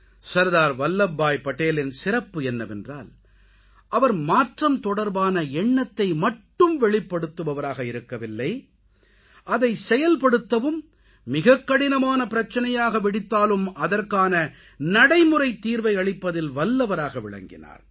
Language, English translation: Tamil, Sardar Vallabhbhai Patel's speciality was that he not only put forth revolutionary ideas; he was immensely capable of devising practical solutions to the most complicated problems in the way